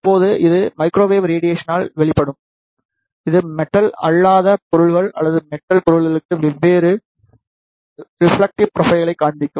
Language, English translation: Tamil, When, it is exposed with microwave radiation it will show different reflectivity profile for the non metallic objects or the metallic objects